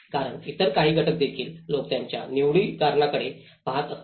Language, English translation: Marathi, Because there are certain other factors also people tend to make their choices